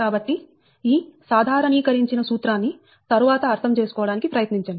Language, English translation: Telugu, so this generalized formula you try to understand again and again